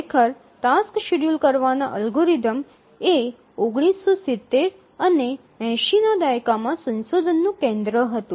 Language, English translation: Gujarati, Actually, task scheduling algorithms were the focus of the research in the 1970s and 80s